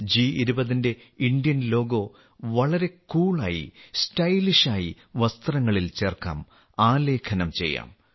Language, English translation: Malayalam, The Indian logo of G20 can be made, can be printed, in a very cool way, in a stylish way, on clothes